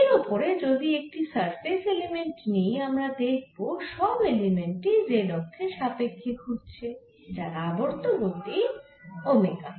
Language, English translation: Bengali, so if we take a surface element on this spherical shell we can see that every element is moving around the z axis with the angular velocity omega